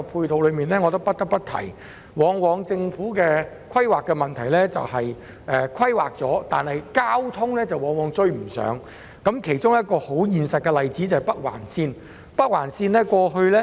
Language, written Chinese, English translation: Cantonese, 但是，我不得不提，政府的規劃問題往往在於交通配套追不上，其中一個實際例子是北環綫。, Yet I must say that the problem with the planning of the Government often lies in its failure to provide timely ancillary transport facilities . The construction of the Northern Link is a concrete example